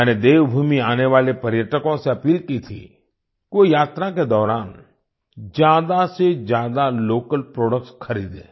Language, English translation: Hindi, I had appealed to the tourists coming to Devbhoomi to buy as many local products as possible during their visit